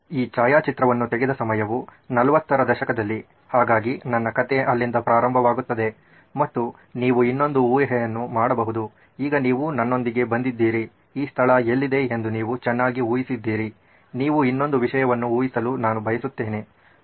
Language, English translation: Kannada, So, and the time period around which this photograph was taken was in the 40’s so that’s where my story begins and I would like you to take another guess, now that you have come with me so far you guessed so well where this place is, I would like you to guess one more thing